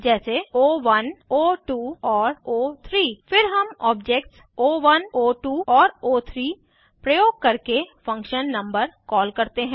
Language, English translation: Hindi, Then we call the function number using the objects o1, o2 and o3